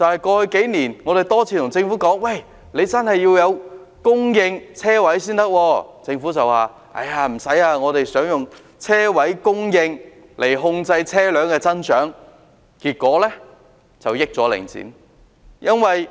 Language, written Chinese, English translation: Cantonese, 過去數年，我們多次向政府提出，真的要供應車位，但政府卻說不用，他們打算透過車位供應來控制車輛的增長，結果讓領展得益。, Over the past few years we have repeatedly proposed to the Government that it is really necessary to supply parking spaces . Yet the Government dismissed it saying that they intended to control the growth in the number of vehicles through containing the supply of parking spaces and therefore let Link REIT reap the gains